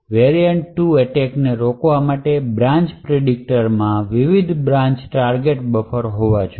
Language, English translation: Gujarati, In order to prevent variant 2 attacks we need to have different branch target buffers present in the branch predictor unit